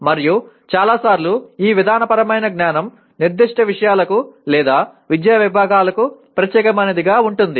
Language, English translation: Telugu, And many times, these procedural knowledge is specific or germane to particular subject matters or academic disciplines